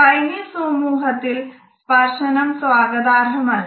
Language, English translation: Malayalam, Touch is not welcome in the Chinese society